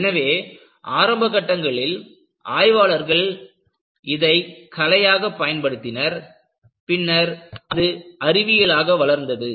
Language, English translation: Tamil, So, in the initial stages, you find that people used it as art, later it developed into a science